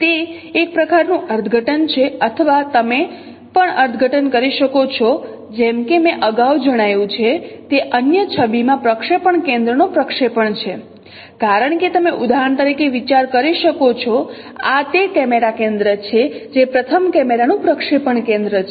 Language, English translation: Gujarati, Or you can also interpret as I mentioned earlier the projection of projection center in other image because you can consider for example this is a camera center which is a projection center of the first camera